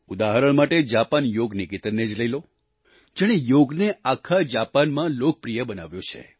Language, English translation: Gujarati, For example, take 'Japan Yoga Niketan', which has made Yoga popular throughout Japan